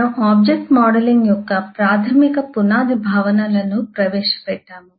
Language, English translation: Telugu, we have introduced a basic foundational concepts of object modelling